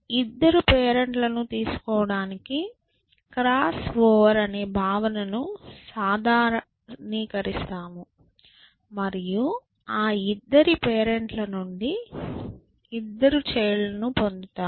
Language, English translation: Telugu, So, we generalize the notion of cross over to say that you take two parents, and you must somehow get two children which are generated from those two parents essentially